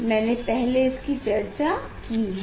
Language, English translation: Hindi, I described earlier